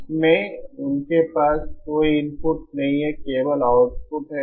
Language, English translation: Hindi, In that they have no input, only output